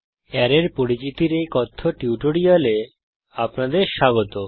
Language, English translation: Bengali, Welcome to the spoken tutorial on Introduction to Arrays